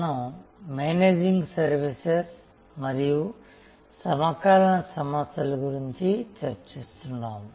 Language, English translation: Telugu, We have been discussing about Managing Services and the contemporary issues